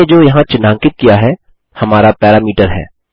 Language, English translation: Hindi, What I have highlighted here is our parameter